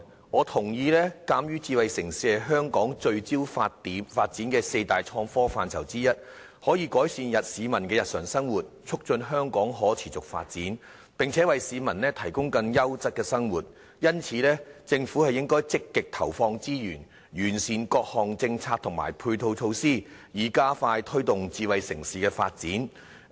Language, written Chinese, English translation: Cantonese, 我認同，鑒於智慧城市是香港聚焦發展的四大創科範疇之一，可以改善市民的日常生活，促進香港可持續發展，並且為市民提供更優質的生活，因此，政府應該積極投放資源，完善各項政策和配套措施，以加快推動智慧城市的發展。, I agree that being one of the four major areas of focused development of innovation and technology in Hong Kong smart city can improve peoples daily living foster the sustainable development of Hong Kong and facilitate the people in leading a more quality life . As such the Government should proactively allocate resources to perfecting various policies and ancillary measures so as to expedite the promotion of smart city development